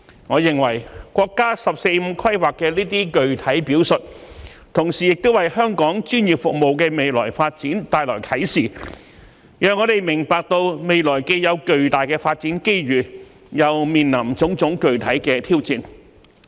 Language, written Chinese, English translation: Cantonese, 我認為，國家"十四五"規劃的這些具體表述，同時亦為香港專業服務的未來發展帶來啟示，讓我們明白到未來既有巨大的發展機遇，又面臨種種具體的挑戰。, I hold that these specific details of the countrys 14 Five - Year Plan are indicative of the way forward for our professional services and enable us to envisage the enormous development opportunities as well as various specific challenges that lie ahead for us